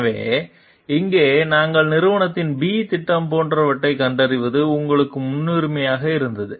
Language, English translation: Tamil, So, here what we find like company B project was priority to you